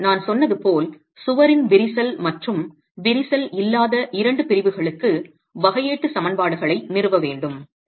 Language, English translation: Tamil, Now, as I said, we need to establish differential equations that are different for the two cracked and uncracked segments of the wall itself